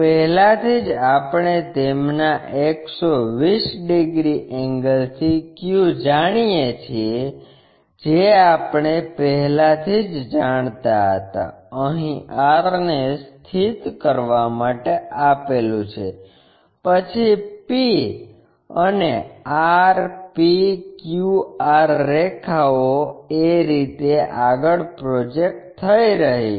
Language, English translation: Gujarati, Already we know q from their 120 degrees angle we already knew, here construct to locate r, then join p and r p q r lines are projected in that way